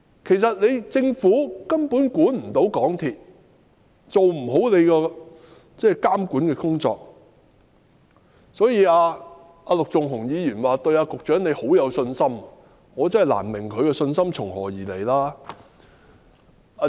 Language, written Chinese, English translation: Cantonese, 其實，政府根本未能監管港鐵公司，未能做好監管的工作，所以陸頌雄議員說對局長很有信心，我卻真的難以明白他的信心是從何而來。, The Government has basically failed to monitor MTRCL and has been unable to do its monitoring work properly . Hence when Mr LUK Chung - hung said that he had confidence in the Secretary I really find it difficult to understand the basis of his confidence